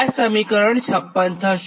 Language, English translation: Gujarati, this is equation fifty five